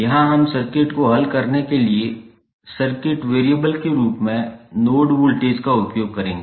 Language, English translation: Hindi, Here we will usenode voltage as a circuit variable to solve the circuit